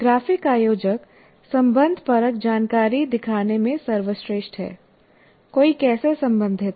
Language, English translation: Hindi, And graphic organizers are best at showing the relational information, how one is related to the other